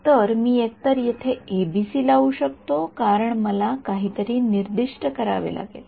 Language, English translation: Marathi, So, I can either I can impose a ABC over here because I have to I have to specify something